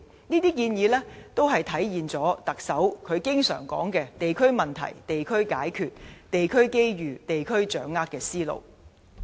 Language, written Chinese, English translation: Cantonese, 這些建議均體現特首經常說"地區問題地區解決、地區機遇地區掌握"的思路。, All these proposals manifest the concept of addressing district issues at the local level and capitalizing on local opportunities frequently referred to by the Chief Executive